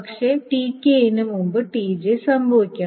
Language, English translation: Malayalam, The TK is not happening before T